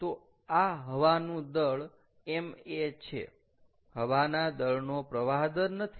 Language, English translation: Gujarati, so this is a mass of air, not mass flow rate